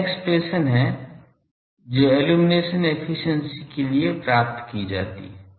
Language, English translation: Hindi, This is the expression that is obtained for the illumination efficiency